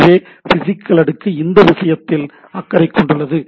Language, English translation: Tamil, So, physical layer is concerned to the things